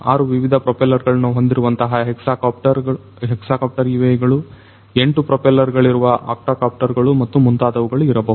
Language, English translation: Kannada, UAVs could be hexacopters having 6 different propellers, could be octocopters 8 propellers and so on